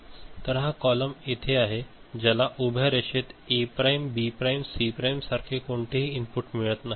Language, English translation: Marathi, So, this column over here, this vertical line is not getting any input from A prime B prime C prime like